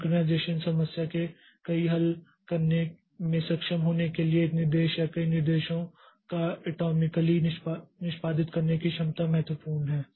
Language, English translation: Hindi, The ability to execute an instruction or a number of instructions atomically is crucial for being able to solve many of the synchronization problems